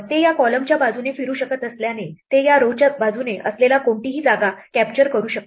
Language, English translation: Marathi, Since it can move along these columns it can also capture any piece that lies along these rows